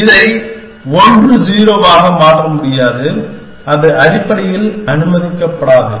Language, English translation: Tamil, I cannot change this to 1 0 that will not be allowed essentially